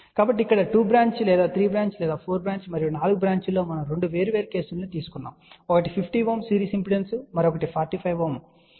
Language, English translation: Telugu, So, here 2 branch 3 branch 4 branch and in 4 branch we have taken 2 different cases 1 was series impedance of 50 ohm and another one was 45 ohm